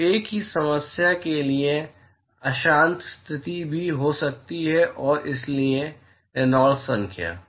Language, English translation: Hindi, So, one could also have turbulent condition for the same problem and so, the Reynolds number